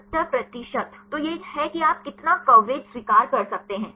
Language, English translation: Hindi, 70 percent; so, this is how much coverage you can accept